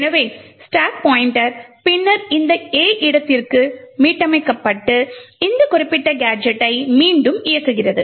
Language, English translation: Tamil, Thus, the stack pointer is then reset to this A location and re executes this particular gadget